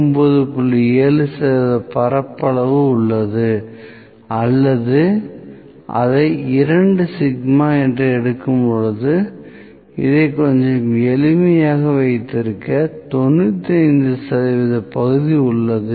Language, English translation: Tamil, 7 percent area here, or let me call it 2 sigma, 2 sigma I have 95 percent area here to keep it a little simpler